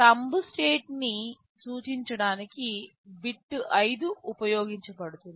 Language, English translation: Telugu, Bit 5 is used to denote thumb state